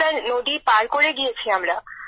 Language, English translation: Bengali, We've gone crossing the river Sir